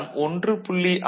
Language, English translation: Tamil, So, this 1